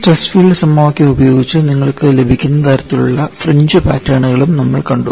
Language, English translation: Malayalam, And we have also seen the kind of fringe patterns that you get by using this stress field equation; we will have a look at them again